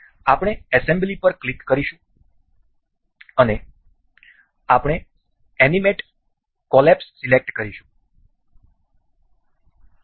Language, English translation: Gujarati, We will click on assembly and we will select animate collapse